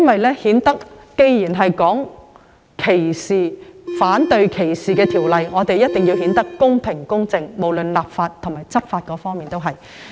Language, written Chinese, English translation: Cantonese, 我認為既然是反對歧視法例，便一定要公平、公正，不論是立法或執法亦然。, Given that the relevant legislation is anti - discrimination it must be fair and just in its enactment and enforcement